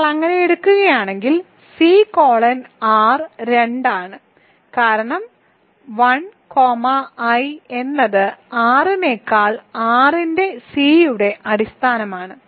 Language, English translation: Malayalam, If you take so if you take C colon R I claim is 2, because 1 comma i is a basis of R of C over R